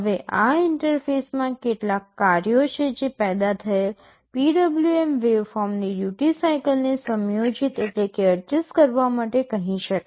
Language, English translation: Gujarati, Now, this interface has some functions that can be called to adjust the duty cycle of the PWM waveform that has been generated